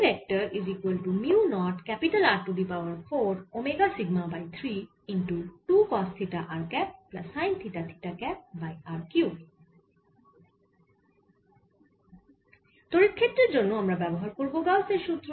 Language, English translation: Bengali, so the electric field we can use simple, the gauss law